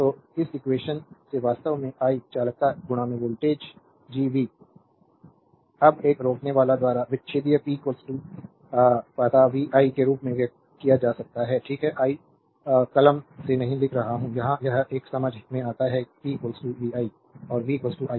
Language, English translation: Hindi, So, from this equation actually i is equal to conductance into voltage Gv, now the power dissipated by a resistor can be expressed as p is equal to you know vi, right, I am not writing by pen here it is a understandable p is equal to vi and v is equal to iR